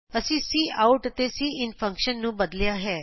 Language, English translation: Punjabi, And we have changed the cout and cin function